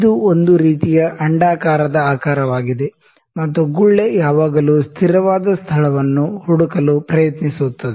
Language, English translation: Kannada, It is a kind of an oval shape, and the bubble would always try to find the stable space